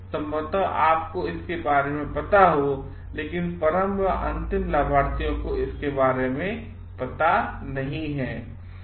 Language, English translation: Hindi, Probably is there with you, but the ultimate beneficiaries do not come to know about it